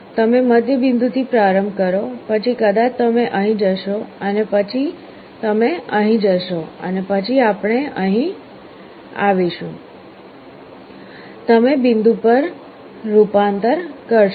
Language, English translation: Gujarati, You start with the middle point, then maybe you will be going here, then you will be going here then we will be going here like this; you will be converging to the point